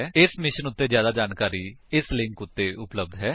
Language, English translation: Punjabi, More information on this mission is available at: [2]